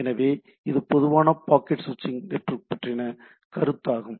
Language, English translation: Tamil, So, these are typically in case of a packet switching network